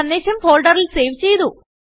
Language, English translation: Malayalam, The message is saved in the folder